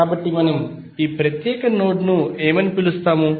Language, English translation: Telugu, So, what we will call this particular node